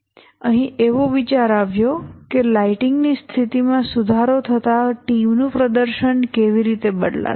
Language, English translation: Gujarati, Here the idea was that how does the team performance change as the lighting conditions improve